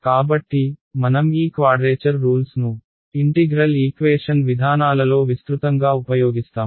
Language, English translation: Telugu, So, we will use these quadrature rules extensively in integral equation approaches